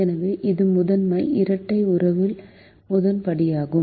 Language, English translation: Tamil, so this is the first step in primal dual relationship